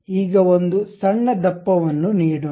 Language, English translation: Kannada, Now, a small thickness let us give it